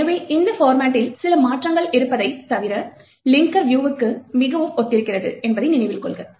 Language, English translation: Tamil, So, note that this format is very similar to the linker view, except that there are few changes